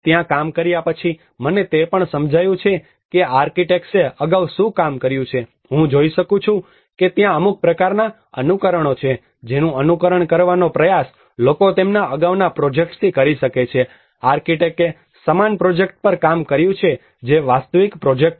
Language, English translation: Gujarati, Having worked there, I also have an understanding what those architects have previously worked I can see that there is some kind of imitations which people trying to imitate from their previous projects may be the architect have worked on a similar project which is the real project